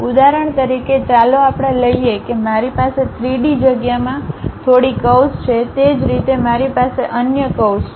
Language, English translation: Gujarati, For example, let us take I have some curve in 3 dimensional space similarly I have another curve